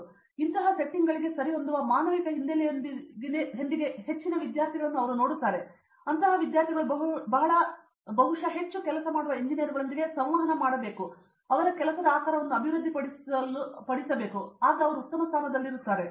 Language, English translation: Kannada, So so, they are apparently looking at a lot of students with humanities background who would fit into such settings, and such students are probably in a better position to look at develop that aspect of their work when they interact with a lot more engineers who are doing those industrial settings